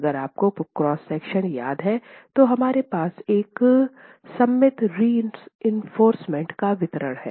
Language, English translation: Hindi, So if you remember the cross section that we were looking at yesterday, we had a symmetrical distribution of reinforcement